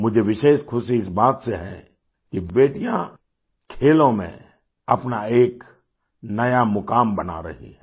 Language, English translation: Hindi, I am especially happy that daughters are making a new place for themselves in sports